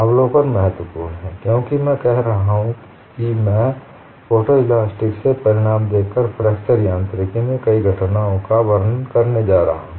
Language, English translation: Hindi, The observation is very important, because I have been saying I am going to illustrate many phenomena in fracture mechanics by looking at results from photo elasticity